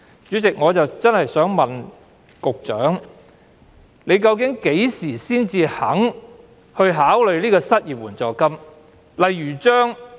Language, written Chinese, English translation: Cantonese, 主席，我想問局長，究竟何時才肯考慮推出失業援助金？, President may I ask the Secretary when he will consider introducing unemployment assistance?